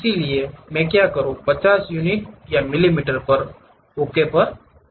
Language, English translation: Hindi, For that what I do, 50 units or millimeters and click Ok